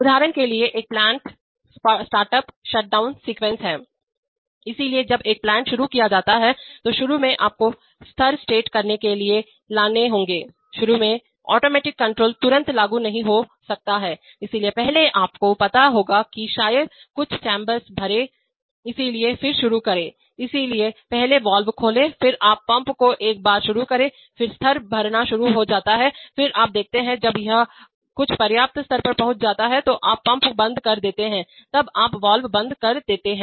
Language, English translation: Hindi, For example, a plant startup/shutdown sequence, so when a plant is started up, initially you have to bring up levels to set, initially automatic control may not be immediately applied, so first you have to you know maybe fill some chamber, so then start, so first open the valve then you start the pump then once, so the level starts filling then you see, when it has reached some sufficient level then you switch off the pump then you switch off the valve